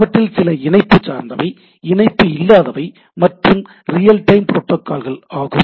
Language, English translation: Tamil, Some are connection oriented, connectionless, real time protocols